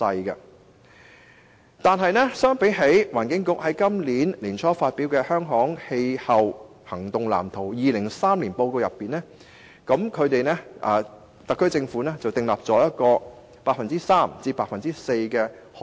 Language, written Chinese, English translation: Cantonese, 不過，根據環境局在本年年初發表的《香港氣候行動藍圖 2030+》，特區政府實現可再生能源的潛力約為 3% 至 4%。, But according to the Hong Kongs Climate Action Plan 2030 announced by the Environment Bureau early this year the SAR Government has about 3 % to 4 % of realizable renewable energy potential